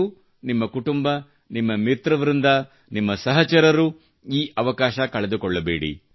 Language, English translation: Kannada, You, your family, your friends, your friend circle, your companions, should not miss the opportunity